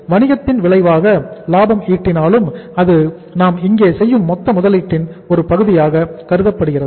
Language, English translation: Tamil, Profit though it is a result of the business but it is a it is considered here as the part of the as a part of the total investment we are making here